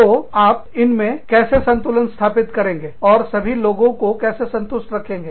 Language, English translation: Hindi, So, how do you strike a balance, between these, and how do you keep, everybody satisfied